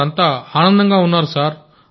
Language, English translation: Telugu, Everyone is happy Sir